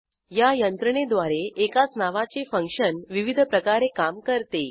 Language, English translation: Marathi, It is the mechanism to use a function with same name in different ways